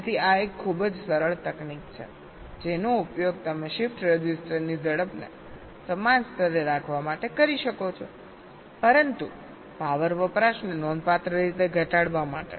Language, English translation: Gujarati, so this is one very simple technique which you can use to increase the ah, to keep the speed of the shift register at this same level but to reduce the power consumption quite significantly